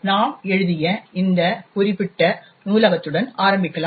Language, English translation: Tamil, Let us start with this particular library that we have written